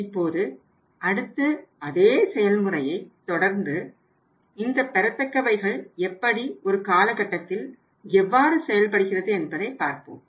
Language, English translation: Tamil, Now we will be moving forward in the same process and let us see here that how the receivables are behaving over the period of time